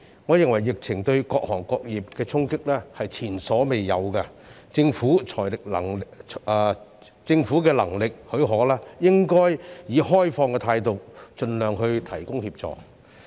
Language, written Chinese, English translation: Cantonese, 我認為疫情對各行各業的衝擊是前所未有的，政府如果能力許可，應以開放的態度盡量提供協助。, I think the epidemic has exerted unprecedented impact on various trades and industries and the Government should adopt an open attitude in providing assistance as far as possible if it is able to do so